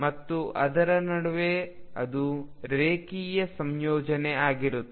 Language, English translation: Kannada, And in between it will be a linear combination